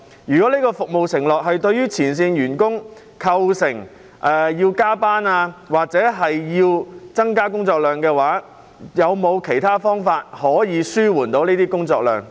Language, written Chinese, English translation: Cantonese, 如果這項服務承諾導致前線員工需要加班或工作量大增，當局是否有方法減輕他們的工作量？, In case this pledge has resulted in overtime work or excessive workload for frontline staff what would the authorities do to reduce their workload?